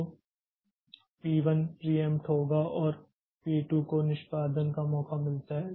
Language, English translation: Hindi, So, p 1 is preempted and p2 gets the chance for execution